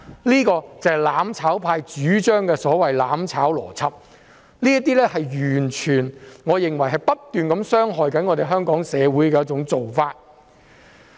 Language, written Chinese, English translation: Cantonese, 這便是"攬炒派"主張的"攬炒"邏輯，我認為這完全是不斷傷害香港社會的做法。, This is the logic of mutual destruction advocated by the mutual destruction camp which I think has been doing harm to Hong Kong society